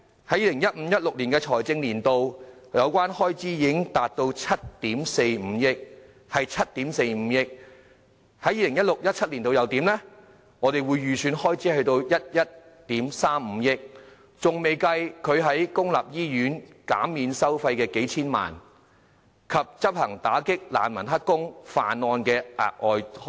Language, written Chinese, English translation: Cantonese, 在 2015-2016 財政年度，有關開支達到7億 4,500 萬元；而在 2016-2017 財政年度，預算開支為11億 3,500 萬元；尚未計算公立醫院減免收費的數千萬元，以及執行打擊難民當"黑工"和犯案行動的額外開支。, In the 2015 - 2016 financial year the expenditure concerned reached 745 million . In the 2016 - 2017 financial year the estimated expenditure is 1.135 billion . And that has excluded the few tens of million dollars of charges waived by public hospitals and the additional expenditure on the law enforcement actions against refugees engaging in illegal employment and committing crimes